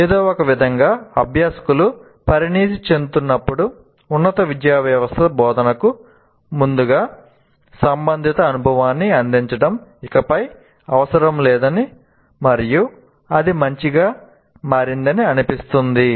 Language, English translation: Telugu, And somehow as learners mature the higher education system seems to feel that providing relevant experience prior to instruction is no longer necessary